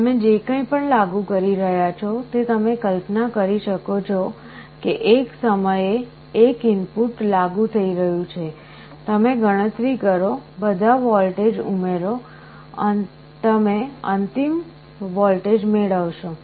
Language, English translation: Gujarati, So, whatever you are applying you may imagine that one input is being applied at a time, you calculate, add all the voltages up you will be getting the final voltage